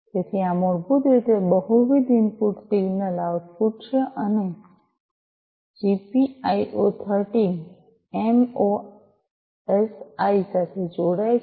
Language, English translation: Gujarati, So, this is basically multiple input single outputs and GPIO 13 connects to the MOSI